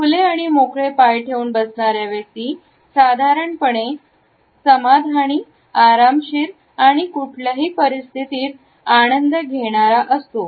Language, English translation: Marathi, A person who is sitting with open legs normally comes across as a person who is opted for a relaxed position and is comfortable in a given situation